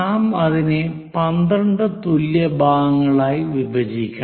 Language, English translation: Malayalam, Once it is done, we have to divide this into 12 equal parts